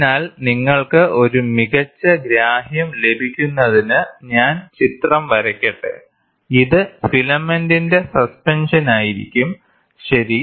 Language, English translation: Malayalam, So, let me draw the figure so that you will have a better understanding, this will be the suspension of filament, ok